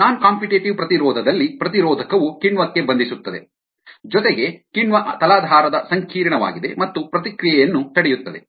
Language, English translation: Kannada, in the non competitive inhibition, the inhibitor binds to the enzyme as well as the enzyme substrate complex and individual reaction